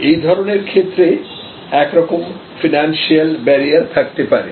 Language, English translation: Bengali, In such cases, there can be some kind of financial barrier